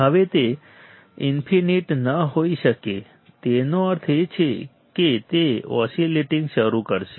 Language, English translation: Gujarati, Now, it cannot be infinite; that means, it will start oscillating